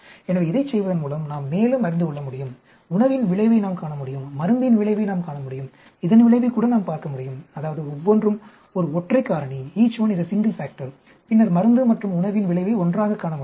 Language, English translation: Tamil, So, by doing this we can learn more, we can look at effect of the diet, we can look at effect of drug, we can even look at effect of, that is, each one is a single factor and then we can even look at effect of drug and diet combined together also